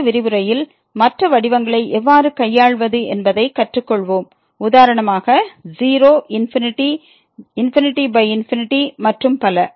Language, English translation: Tamil, In the next lecture we will learn now how to deal the other forms; for example the 0 infinity, infinity by infinity and so on